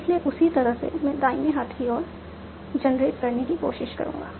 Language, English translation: Hindi, So that accordingly I am trying to generate the right hand side